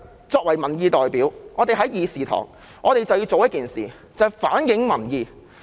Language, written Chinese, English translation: Cantonese, 作為民意代表，我們在議事堂便要反映民意。, As the representatives of the people we have to reflect public views in this Chamber